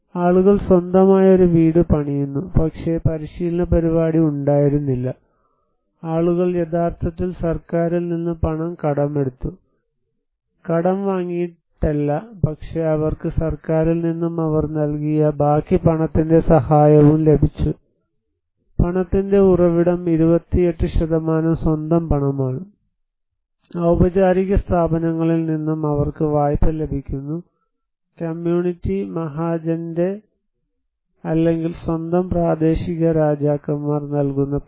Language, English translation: Malayalam, People build their own house but there was no training program, people actually borrowed money from the government rest of the money; not borrowed but they got the assistance from the government and the rest of the money they provided, and source of money 28% is the own money, they receive the loan from formal institution also, the community Mahajan's or own local Kings, relatives they provide money